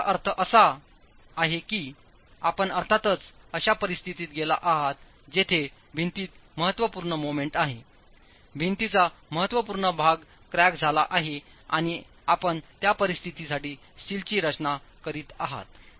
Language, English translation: Marathi, Meaning now you have of course gone into a situation where there is significant moment in the wall, significant section of the wall is cracked and you are designing the steel for that situation